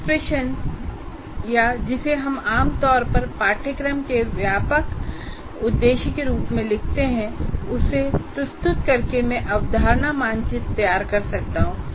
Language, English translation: Hindi, So by posing as a question or what we generally write as broad aim of the course, from there I can draw the concept map